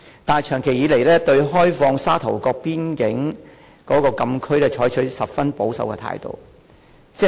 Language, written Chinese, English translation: Cantonese, 但是，長期以來，政府對開放沙頭角邊境禁區卻採取十分保守的態度。, But over a long period of time the Government has taken a most conservative attitude towards the opening up of the Sha Tau Kok FCA